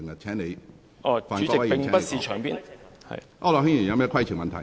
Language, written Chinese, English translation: Cantonese, 區諾軒議員，你有甚麼規程問題？, Mr AU Nok - hin what is your point of order?